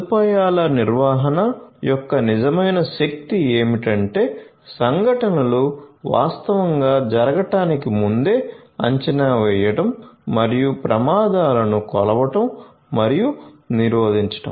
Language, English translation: Telugu, So, the real power of facility management is to predict the events before they actually occur and to measure and prevent the predicted hazards